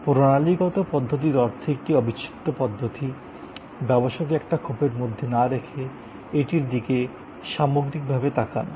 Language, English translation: Bengali, Systems approach means an integral approach, not thinking of the business in silos, but looking at it as a composite whole